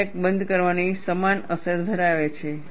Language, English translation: Gujarati, It has a similar effect of crack closure